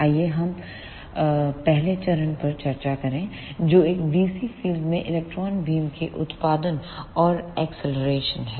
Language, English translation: Hindi, Let us discuss the first phase which is generation and acceleration of electron beam in a dc field